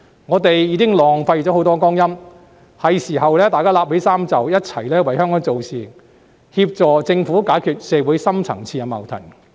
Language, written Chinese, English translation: Cantonese, 我們已浪費了很多光陰，是時候拉起衣袖，一起為香港做事，協助政府解決社會的深層次矛盾。, Since much time has already been wasted we should all roll up our sleeves now to work together for Hong Kong and assist the Government in resolving the deep - seated conflicts in society